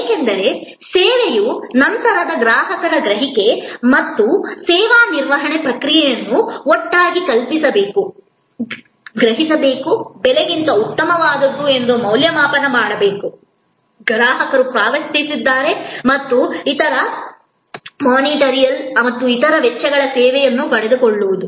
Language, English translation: Kannada, Because, we want that the customer perception after service and the service delivery process together must be conceived, must be perceived, must be evaluated as something better than the price, the customer has paid and the different non monitory other cost of acquiring the service